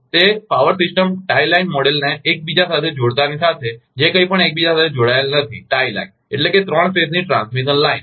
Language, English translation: Gujarati, It is not interconnected anything as soon as you interconnect the power system, the tie line model; tie line means that a three phase transmission line